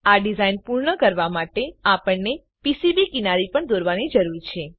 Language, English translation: Gujarati, We also need to draw the PCB edges for completing this design